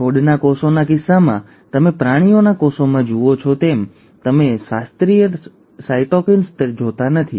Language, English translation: Gujarati, So in case of plant cells, you do not see the classical cytokinesis as you see in animal cells